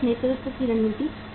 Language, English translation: Hindi, Cost leadership strategy